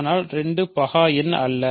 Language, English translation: Tamil, But 2 is not prime